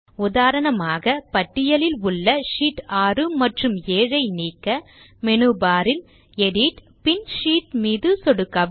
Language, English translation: Tamil, For example if we want to delete Sheet 6 and Sheet 7from the list, click on the Edit option in the menu bar and then click on the Sheet option